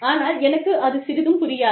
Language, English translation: Tamil, I will not understand it